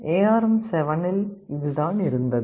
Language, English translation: Tamil, This was what was there in ARM7